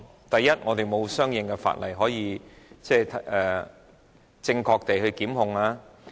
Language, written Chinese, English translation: Cantonese, 第一，我們並無相應法例可據以正確地提出檢控。, First we do not have corresponding legislation on which we can institute prosecution in an accurate manner